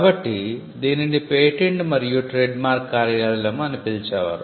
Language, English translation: Telugu, So, we it used to be called the patent and trademark office